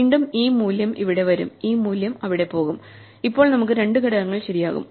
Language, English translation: Malayalam, Again this value will come here this value will go there and now we will have two elements fixed and so on